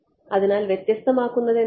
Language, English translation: Malayalam, So, what differentiates right